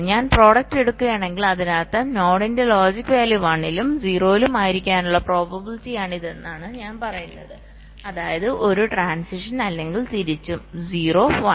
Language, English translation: Malayalam, if i take the product, it means i am saying that this is the probability that the logic value of the node will be at one and also will be at zero, which means there is a transition